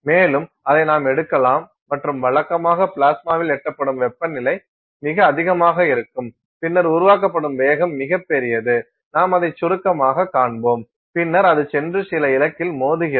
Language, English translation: Tamil, And, then you can take and that usually the temperature is reached in the plasma are very high and then and the velocity is generated are very large; we will see that briefly and then it goes and impinges on some target